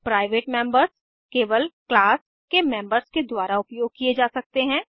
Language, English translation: Hindi, Private members can be used only by the members of the class